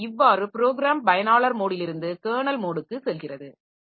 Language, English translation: Tamil, So, the system, the program goes from user mode execution to a kernel mode execution